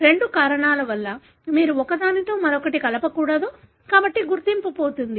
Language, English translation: Telugu, For two reasons; one you don’t mix one with the other, therefore the identity is lost